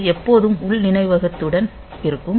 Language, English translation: Tamil, So, this is always with the internal memory